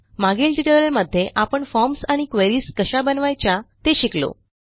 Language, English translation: Marathi, We learnt how to create forms and queries in the previous tutorials